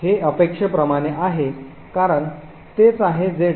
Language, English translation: Marathi, This is as expected because that is what is present in the driver